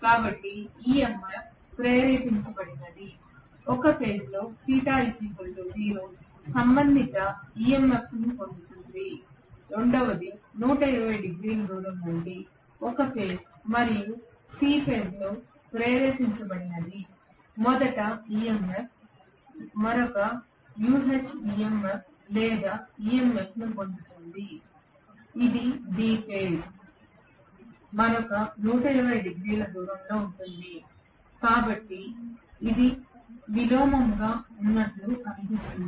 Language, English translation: Telugu, So the EMF induced will be such that A phase gets the theta equal to 0 corresponding EMF, the second one gets then after 120 degrees away from the first EMF that is induced in A phase and C phase gets another MMF or EMF which is corresponding to another 120 degrees away from the B phase, that is why it looks as though this is inverted